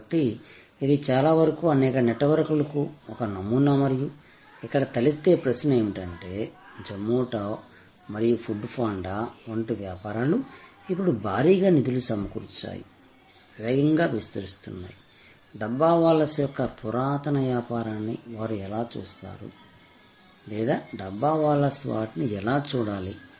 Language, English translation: Telugu, So, it is a model of many to many network and the question that comes up is that, this kind of business like Zomato and Food Panda now heavily funded, expanding rapidly, how will they look at this age old business of the Dabbawalas or how should the Dabbawalas look at them